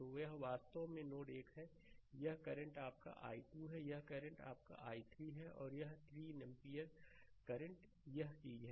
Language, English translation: Hindi, So, this is actually node 1 this current is your i 2, this current is your i 3 and this 3 ampere current is this thing, right